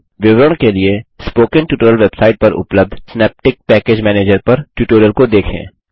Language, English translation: Hindi, For details, watch the tutorial on Synaptic Package Manager available on the Spoken Tutorial website